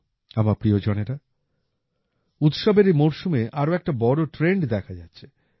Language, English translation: Bengali, My family members, another big trend has been seen during this festive season